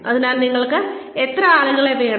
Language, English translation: Malayalam, So, how many people do you need